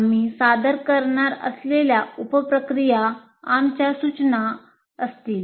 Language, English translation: Marathi, The sub processes we are going to present are our suggestions